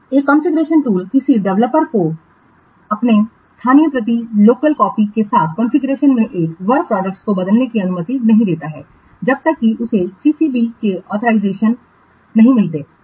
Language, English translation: Hindi, A configuration tool does not allow a developer to replace a work product in the configuration with his local copy unless he gets an authorization from the CCB